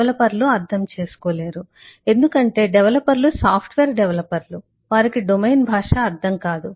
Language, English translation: Telugu, developers cannot understand because developers are software developers